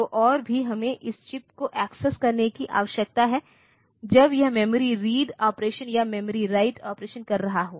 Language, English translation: Hindi, So, and also, we need to access this chip when it is doing a memory read operation or a memory write operation